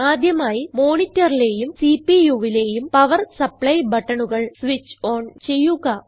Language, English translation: Malayalam, First of all, switch on the power supply buttons of the monitor and the CPU